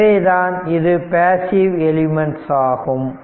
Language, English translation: Tamil, So, that is why they are passive elements right